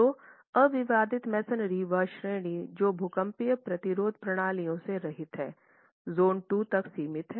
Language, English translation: Hindi, So, unreinforced masonry, that category which is devoid of seismic resistance systems is confined to zone 2